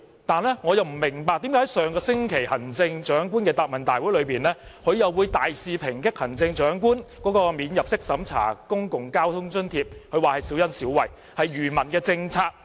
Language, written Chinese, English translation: Cantonese, 但是，我不明白為何在上星期的行政長官答問會上，他卻大肆抨擊行政長官提出的免入息審查公共交通津貼是小恩小惠，是愚民政策。, However I do not understand why he strongly criticized at the Chief Executives Question and Answer Session last week that the non - means tested Public Transport Fare Subsidy Scheme to be introduced by the Chief Executive was a policy to fool the public by giving them petty favours